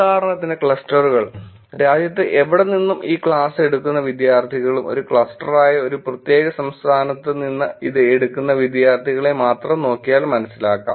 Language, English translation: Malayalam, Clusters for example, the students who are taking this class from anywhere in the country and let us take if you look at only the students who are taking it from one particular state that would be a cluster